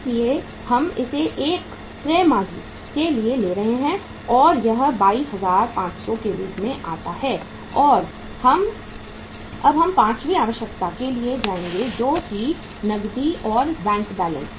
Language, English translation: Hindi, So we are taking it for the 1 quarter and that works out as how much 22,500 and we will go for the fifth requirement that is the cash and bank balance